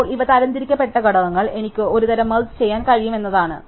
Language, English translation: Malayalam, Now, the factors these are sorted, means that I can do some kind of merging